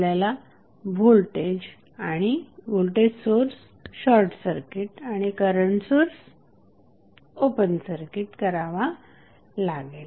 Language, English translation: Marathi, We have to short circuit the voltage source and open circuit the current source